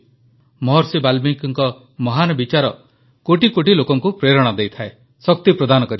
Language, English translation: Odia, Maharishi Valmiki's lofty ideals continue to inspire millions of people and provide them strength